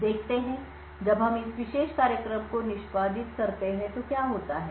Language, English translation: Hindi, Now let us see what happens when we execute this particular program